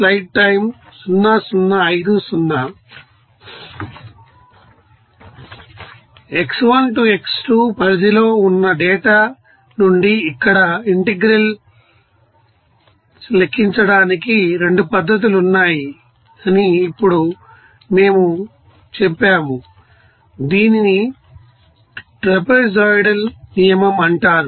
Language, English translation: Telugu, Now we told that there are 2 methods to calculate the you know, integrals here from the data within range of x1 to x2 is called trapezoidal rule